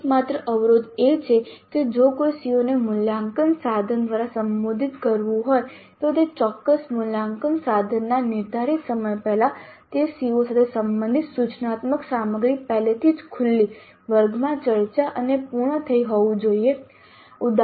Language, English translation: Gujarati, So the only constraint is that if a CO is to be addressed by an assessment instrument, the instructional material related to that COO must already have been uncovered, must have been discussed in the class and completed before the scheduled time of that particular assessment instrument